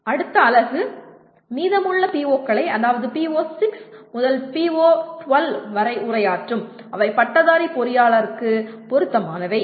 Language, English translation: Tamil, The next unit will address the remaining POs namely from PO6 to PO 12 that are relevant to a graduating engineer